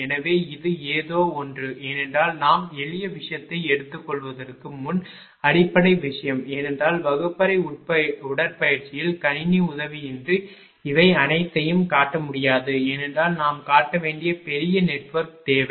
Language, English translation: Tamil, So, this is this is something because just basic thing before we will take simple thing because in the classroom exercise, we cannot show all these without in the help of computer right because we need large network we have to show